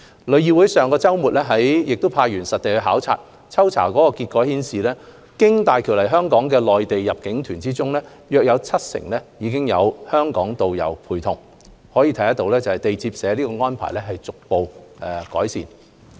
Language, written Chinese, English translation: Cantonese, 旅議會上周末亦派員實地考察，抽查結果顯示，經大橋來港的內地入境團中，約七成有香港導遊陪同，可見地接社的安排已逐步改善。, TIC also deployed manpower to conduct spot checks last weekend . Survey results show that amongst all Mainland inbound tour groups visiting Hong Kong through HZMB around 70 % were accompanied by Hong Kong tourist guides indicating a gradual improvement in the arrangement of receiving agents